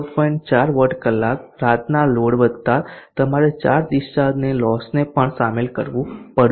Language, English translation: Gujarati, 4 watt hours night load plus you have to include also the charge discharge losses so we have the